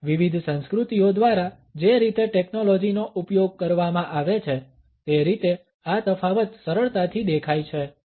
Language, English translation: Gujarati, And this difference is easily visible in the way technology is used by different cultures